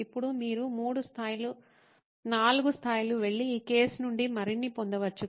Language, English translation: Telugu, Now you could go three levels, four levels and get more out of this case